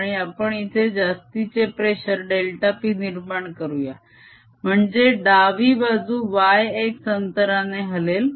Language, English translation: Marathi, this is some pressure p, and we create a, an extra pressure here, delta p, so that the left inside moves by distance, y x